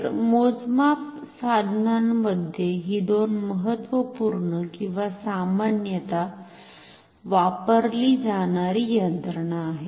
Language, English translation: Marathi, So, these are two important or commonly used mechanisms in measuring instruments